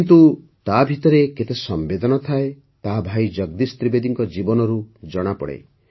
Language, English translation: Odia, But how many emotions he lives within, this can be seen from the life of Bhai Jagdish Trivedi ji